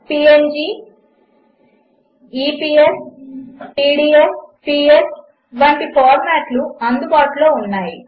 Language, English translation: Telugu, Formats like png ,eps ,pdf, ps are available